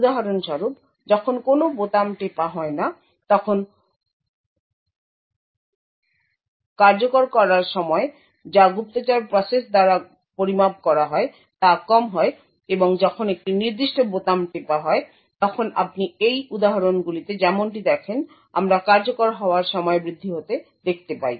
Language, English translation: Bengali, So, for example when no keys are pressed the execution time which is measured by the spy process is low and when a particular key is pressed then we see an increase in the execution time as you see in these instances